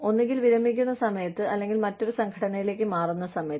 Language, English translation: Malayalam, Either, at the time of retirement, or at the time of moving to another organizations